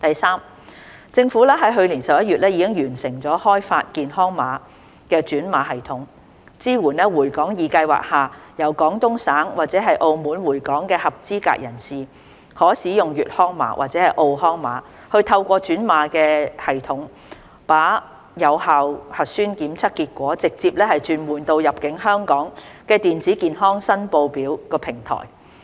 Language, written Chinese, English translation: Cantonese, 三政府於去年11月已完成開發健康碼轉碼系統，支援在"回港易"計劃下由廣東省或澳門回港的合資格人士，可使用"粵康碼"或"澳康碼"透過轉碼系統，把有效核酸檢測結果直接轉換到入境香港的電子健康申報表平台。, 3 The Government completed the development of the health code conversion system last November . The code conversion system supports eligible persons arriving Hong Kong from Guangdong Province or Macao under the Return2hk Scheme to use the Yuekang Code or Macao Health Code to directly convert their valid nucleic acid testing results to the electronic Health Declaration Form platform of Hong Kong